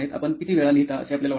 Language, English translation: Marathi, How frequently do you think you write